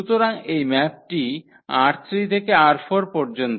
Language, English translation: Bengali, So, this maps from R 3 to R 4